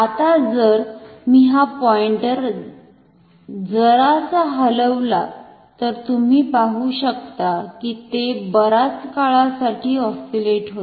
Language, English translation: Marathi, Now if I move this pointer a bit, you see its oscillating for a long time, if I move it oscillates